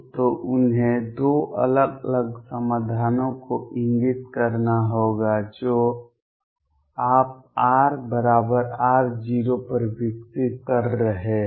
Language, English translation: Hindi, So, they have to indicate 2 different solutions your developing at r equals r naught